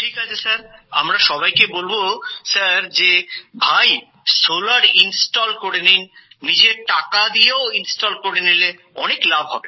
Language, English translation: Bengali, We will tell all of them Sir, to get solar installed, even with your own money,… even then, there is a lot of benefit